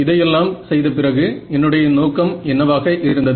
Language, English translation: Tamil, Yeah, after having done all of this what was my objective